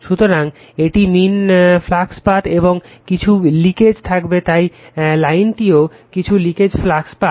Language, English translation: Bengali, So, this is the mean flux path, and there will be some leakage so, this line also so some leakage flux path right